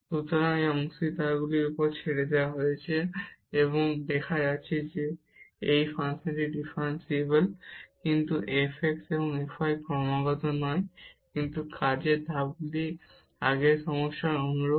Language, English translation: Bengali, So, this is left to the participants we are not going to show that this function is differentiable, but f x and f y are not continuous, but the working steps are similar to the earlier problem